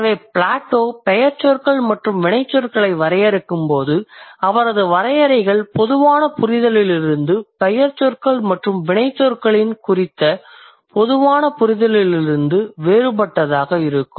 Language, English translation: Tamil, So, when Plato defines nouns and verbs, his definitions are going to be different from the general understanding or the common understanding of nouns and verbs